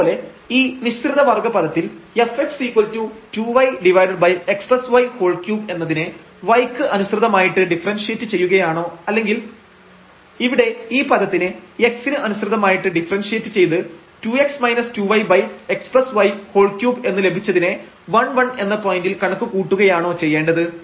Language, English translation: Malayalam, And the mixed order term so, whether we can differentiate this f x is equal to 2 y over x plus y square term with respect to y or we can differentiate this term here with respect to x to get this term 2 x minus 2 y and x plus y power 3 and again we need to compute this at the point 1 1